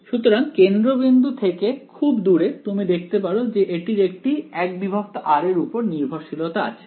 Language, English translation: Bengali, So, far away from the origin you can see I mean the its there is a 1 by r dependence over here ok